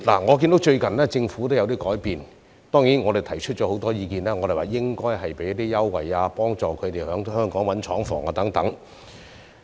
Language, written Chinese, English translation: Cantonese, 我看到政府最近也有一些改變，當然，我們提出了很多意見，提出政府應該向他們提供優惠，以及幫助他們在香港找尋廠房等。, I see that the Government has recently made some changes and of course we have put forward a lot of views suggesting that the Government should provide them with concessions and help them find plants in Hong Kong